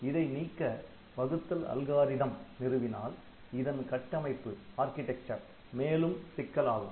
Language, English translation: Tamil, So, the division algorithm has to be implemented and that way the architecture will become complex